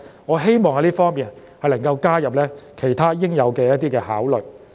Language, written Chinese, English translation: Cantonese, 我希望他們能夠加入其他應有的因素來作考慮。, I hope that the team can take other necessary factors into their consideration